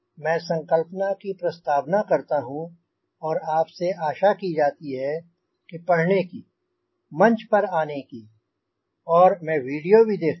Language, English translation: Hindi, i introduce a concept and you are supposed to read and come to the forum and i also see the videos